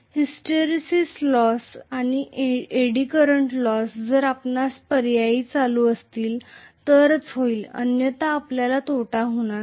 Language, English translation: Marathi, Hysteresis loss and Eddy current loss we will have only if there is alternating current, otherwise we are not going to have those losses